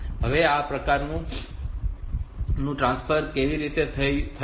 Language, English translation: Gujarati, Now, so this type of transfer so how this can happen